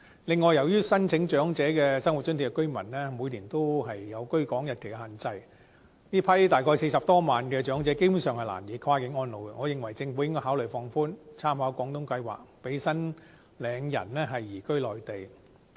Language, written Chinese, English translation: Cantonese, 另外，由於申請長者生活津貼的居民每年也有居港日期的限制，這批大約40多萬名的長者基本上難以跨境安老，我認為應該考慮放寬，參考廣東計劃，讓申領人移居內地。, Besides the residence rule under the Old Age Living Allowance OALA has made it difficult for some 400 000 elderly persons to opt for cross - boundary retirement . I think the Government should make reference to the Guangdong Scheme and relax the residence rule to allow OALA recipients to move to the Mainland